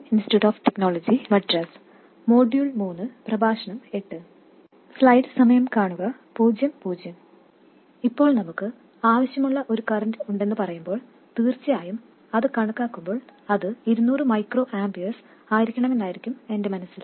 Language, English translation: Malayalam, Now, when we say we have a desired current, of course when calculating I have it in my mind that it should be 200 microamperors